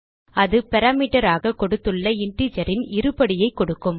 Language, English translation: Tamil, That will display a square of an integer which is given as a parameter